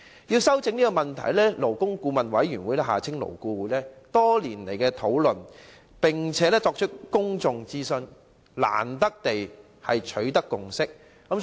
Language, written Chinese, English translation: Cantonese, 為糾正這個問題，勞工顧問委員會曾多番討論，並作出公眾諮詢，終於取得共識。, In order to rectify this problem the Labour Advisory Board LAB held rounds of discussions and public consultations before reaching a consensus